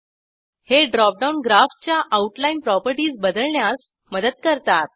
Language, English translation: Marathi, These drop downs help to change the outline properties of the Graph